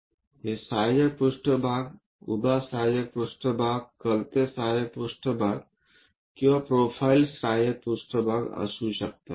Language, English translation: Marathi, These auxiliary planes can be auxiliary vertical planes, auxiliary inclined planes and profile planes